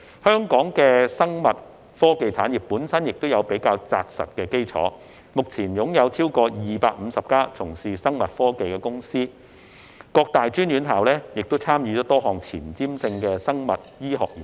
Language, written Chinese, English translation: Cantonese, 香港的生物科技產業本身已有較扎實的基礎，目前擁有超過250家從事生物科技的公司，各大專院校亦參與多項前瞻性的生物醫學研究。, Hong Kongs biotechnology industry has a solid foundation of its own as over 250 companies are currently engaged in biotechnology and tertiary institutions participate in a number of forward - looking biomedical research projects